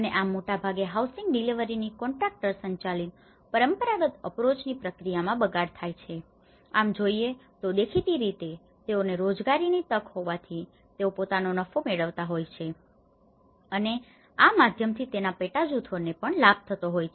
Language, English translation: Gujarati, And that is how most of these traditional approaches the housing delivery is wasted upon the contractor driven process because they are obviously a profit making body and for them also it is an employment opportunity and through them, there is also some subgroups which will also benefit from them